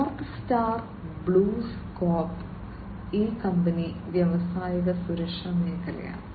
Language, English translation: Malayalam, North Star BlueScope, this company is into the industrial safety space